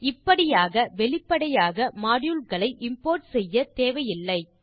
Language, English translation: Tamil, And thus we dont have to explicitly import modules